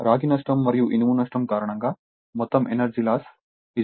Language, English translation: Telugu, So, due to copper loss and iron loss, you add you that is 2